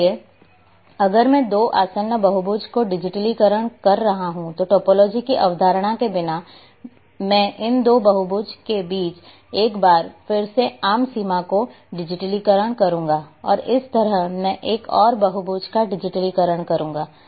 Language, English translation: Hindi, So if I am digitizing two adjacent polygons, the one way or without having concept of topology I would be digitizing the common boundary between these two polygons once more and like this I will be digitizing another polygon